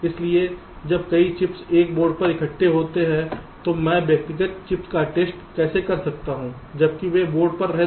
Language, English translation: Hindi, so when several chips are assembled on a board, so how do i test the individual chips, why they are designing on the board